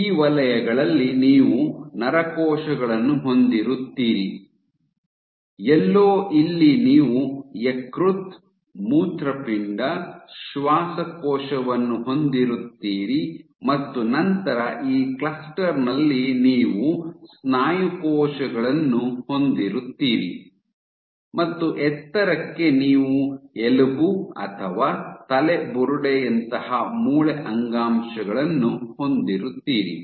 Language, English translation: Kannada, So, in these zones you will have neuronal cells, in somewhere here you would have liver, kidney, lung and high here, then in this cluster you will have muscle cells and high up you will have bone tissue like femur or skull